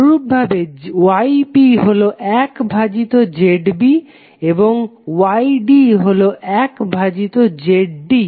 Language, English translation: Bengali, Similarly Y B is 1 by Z B and Y D 1 by Z D